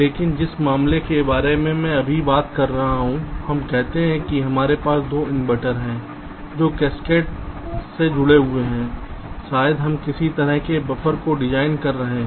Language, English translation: Hindi, but the case that i shall be talking about now is, lets say we have two inverters that are connected in cascade may be we are designing some kind of a buffer